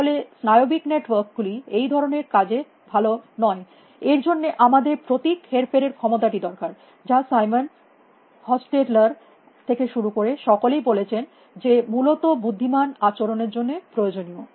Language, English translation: Bengali, Then neural networks are not really very good at that kind of a thing; for that we need this symbol manipulation ability which everybody is from Simon Hostettler is saying it is necessary for intelligent behaviors essentially